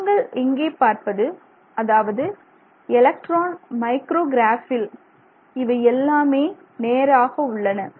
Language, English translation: Tamil, You can see, you know, it's quite evident from these micrographs, electron micrographs, that these are all straight